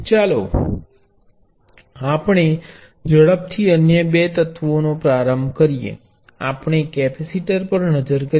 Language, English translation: Gujarati, Let us quickly look at the other two elements the inductor and the capacitor